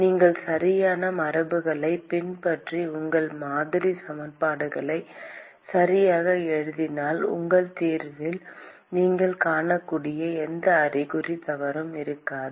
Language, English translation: Tamil, As lng as you follow correct convention, and you write your model equations properly, there will be no sign mistake that you will find in your solution